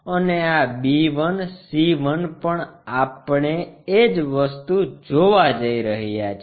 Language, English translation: Gujarati, And this b 1, c 1 also we are going to see the same thing